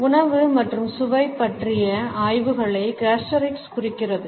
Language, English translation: Tamil, Gustorics represents studies of food and taste